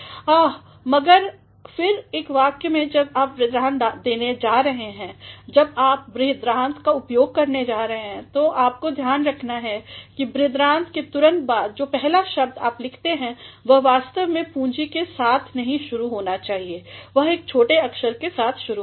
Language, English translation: Hindi, but, then in a sentence when you are going to give a colon when you are going to make use of colon; so, you have to see that just after colon the first word that you write that actually should not begin with a capital, that will begin with a small letter